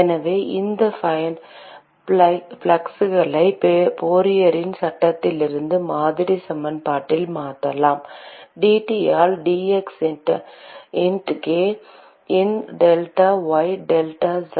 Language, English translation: Tamil, So, we can substitute these fluxes from Fourier’s law into the model equation; dT by d x into k into delta y delta z